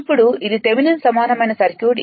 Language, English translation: Telugu, Now, it is that Thevenin equivalent